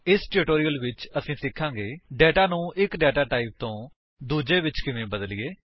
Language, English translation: Punjabi, In this tutorial we have learnt: How to convert data from one type to another